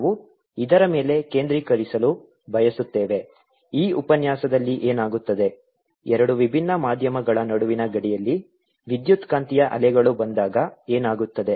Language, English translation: Kannada, in this lecture is what happens when electromagnetic waves come at a boundary between two different medium